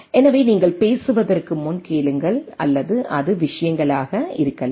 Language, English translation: Tamil, So, listen before you speak or right it can be things